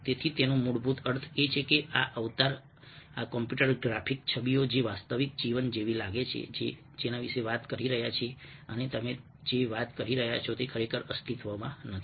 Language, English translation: Gujarati, so what it basically means is that these avtars are this computer graphic images which looks so real life, like ah talking and what you are talking doesn't really exists